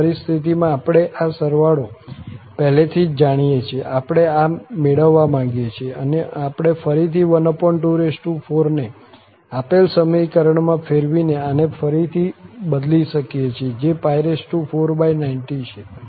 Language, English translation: Gujarati, In this scenario, we have all already this sum known, this we want to get and this we can again convert by taking this 1 over 2 4 into this given summation again which is pi 4 by 90